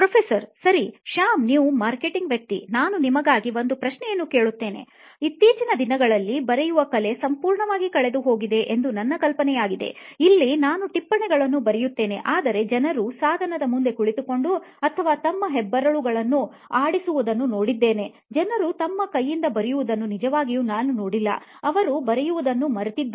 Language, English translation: Kannada, Okay, Shyam I have a question for you, you are the marketing guy so what is the market pulse the whole notion that writing to me is a lost art it is becoming soon a lost art, I write notes here but I see often that people are in front of device they are writing or the thumbs are into play and I have not heard of people actually use their handwriting if fact they themselves forget that this is the thing